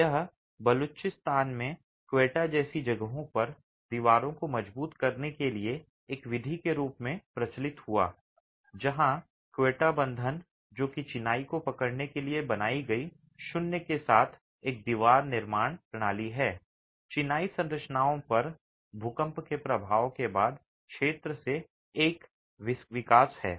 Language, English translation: Hindi, This gained prevalence as method for reinforcing walls in places like Quetta in Balochistan where even the Quetta bond which is a wall construction system with a void created to hold the masonry is a development from the zone after earthquake effects on masonry structures